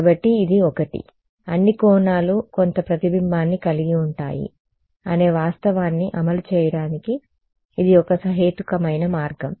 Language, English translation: Telugu, So, this is one; this is one reasonable way of implementing getting around the fact that all angles have some reflection